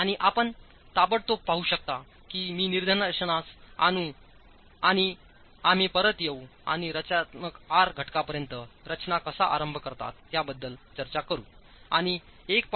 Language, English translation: Marathi, And you can immediately see, I'll point out and we'll come back and discuss of where the R factors for design begin as far as structural wall systems